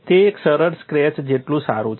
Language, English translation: Gujarati, It is as good as a simple scratch